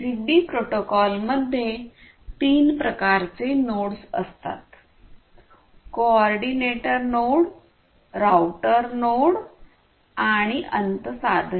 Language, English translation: Marathi, So, the ZigBee protocol defines three types of nodes: the coordinator node, the router node and the end devices